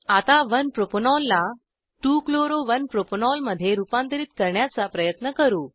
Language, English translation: Marathi, Lets now try to convert 1 Propanol to 2 chloro 1 propanol